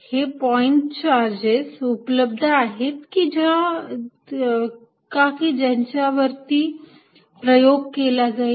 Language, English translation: Marathi, Are there point charges available with which you could do experiment